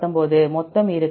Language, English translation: Tamil, 131, 119; so total will be